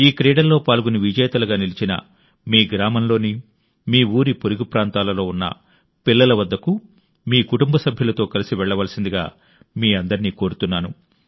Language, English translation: Telugu, I also urge you all to go with your family and visit such children in your village, or in the neighbourhood, who have taken part in these games or have emerged victorious